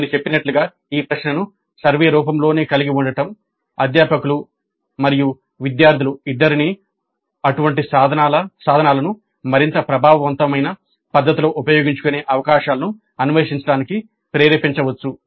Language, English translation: Telugu, Again as I mentioned, having this question itself in the survey form may trigger both the faculty and students to explore the possibilities of using such tools in a more effective fashion